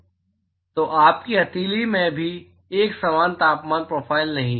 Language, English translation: Hindi, So, you do not have a uniform temperature profile even in your palm